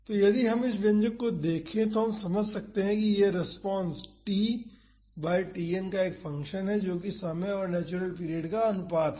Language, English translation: Hindi, So, if we look at this expression we can understand that, this response is a function of t by Tn that is the ratio of the time to the natural period